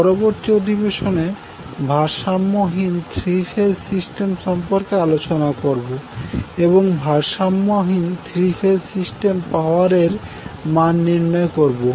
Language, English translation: Bengali, In the next session, we will discuss unbalanced three phase system and the calculation of power for the unbalanced three phase system